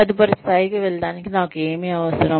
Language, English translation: Telugu, What do I need in order to, move to the next level